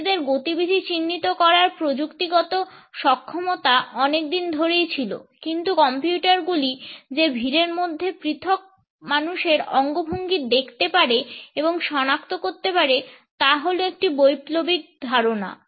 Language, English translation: Bengali, The technological capability to track and individuals movements had been there for a very long time now, but this idea that computers can look at the individual people gestures in a crowd and can make detections on it is basis is a revolutionary concept